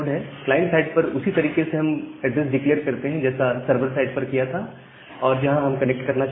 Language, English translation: Hindi, At the client side, we do in the same way we declared the address the server address where we want to connect